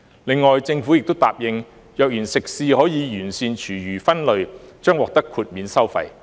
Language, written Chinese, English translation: Cantonese, 另外，政府亦答應，若然食肆可完善廚餘分類，將獲豁免收費。, Moreover the Government has agreed to waive the charges if restaurants can separate food waste properly